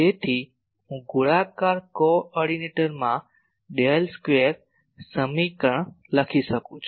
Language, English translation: Gujarati, So, I can immediately write the Del square equation in the spherical coordinate